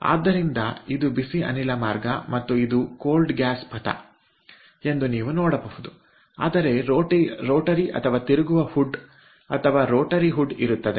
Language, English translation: Kannada, so, ah, um, you can see this is the hot gas path and this is the cold gas path, but there will be a rotating hood or rotary hood, so the rotary hood is shown like this